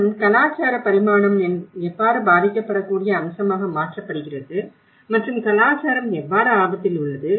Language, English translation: Tamil, And also, we have brought the culture you know the how the cultural dimension into the vulnerable aspect and how culture becomes at risk, culture is at risk